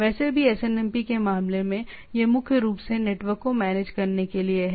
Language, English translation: Hindi, Anyway in case of SNMP, it is primarily to manage the network